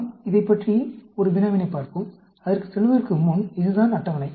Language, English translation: Tamil, Let us look at a problem on… Before going to that, this is the table